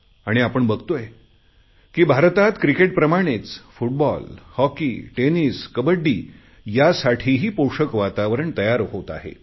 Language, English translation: Marathi, As with Cricket, there's now increasing interest in Football, Hockey, Tennis, and Kabaddi